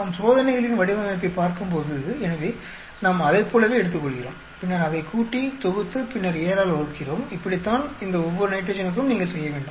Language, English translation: Tamil, So, we pickup like that and then add it up, sum it up and then divide by 7 that is how you do that for each of these nitrogen